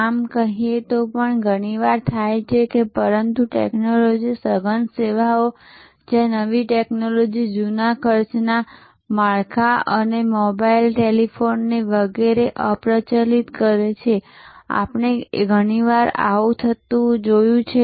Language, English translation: Gujarati, So, it happens very often in say, but technology intensive services, where a new technology obsolete the old cost structure and mobile, telephony etc, we have often seen this is happening